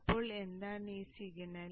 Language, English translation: Malayalam, So what is that signal